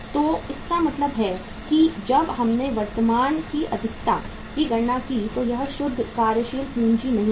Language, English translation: Hindi, So it means when we calculated the excess of current, this is not the net working capital